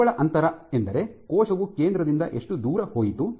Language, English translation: Kannada, So, when I say net distance means from the center how far did the cell go